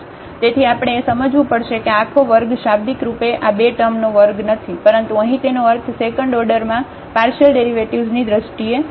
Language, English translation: Gujarati, So, that we have to understand that this whole square is not literally the a square of this two terms, but the meaning of this here is in terms of the second order partial derivatives